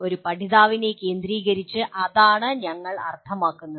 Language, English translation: Malayalam, That is what we mean by a learner centricity